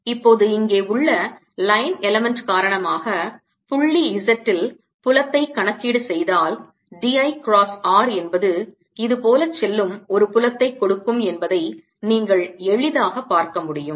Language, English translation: Tamil, now let see if i calculate the field at point z, due to the line element here and a line element here, you can easily see that d, l cross r will give a field going like this